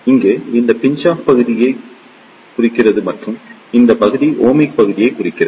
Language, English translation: Tamil, Here, this represents the Pinch off region and this region represent the Ohmic region